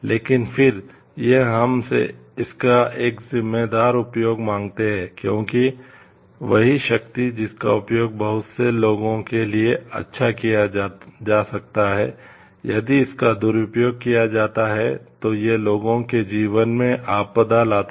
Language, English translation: Hindi, But again it demands from us a responsible use of it because; the same power which can be used to do good for lots of people if it is misused it brings disaster to the lives of people